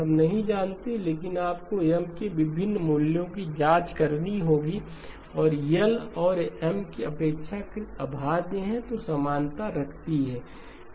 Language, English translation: Hindi, We do not know but you have to check for different values of M and the equality holds if L and M are relatively prime